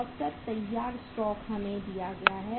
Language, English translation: Hindi, Average stock of finished good we are given